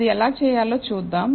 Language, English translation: Telugu, Now, let us see how to do that